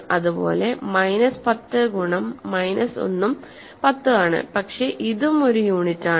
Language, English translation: Malayalam, Similarly, minus 10 times minus 1 is 10 and this is a unit